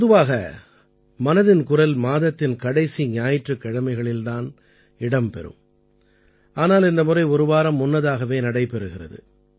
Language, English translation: Tamil, Usually 'Mann Ki Baat' comes your way on the last Sunday of every month, but this time it is being held a week earlier